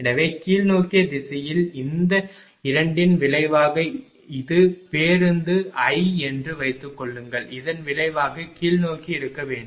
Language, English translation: Tamil, So, resultant of this two in the in the downward direction right suppose this is bus i and resultant should be in the downward direction